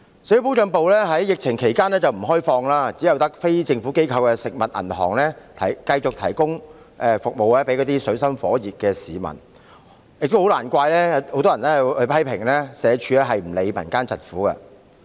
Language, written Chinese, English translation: Cantonese, 社會保障辦事處在疫情期間不開放，只有非政府機構的"食物銀行"繼續為處於水深火熱的市民提供服務，難免令市民批評社署不理會民間疾苦。, Social Security Field Units are closed during the epidemic . Only the non - governmental food banks continue to provide services to the public in dire straits . The public will inevitably criticize SWD for not caring about the sufferings of the people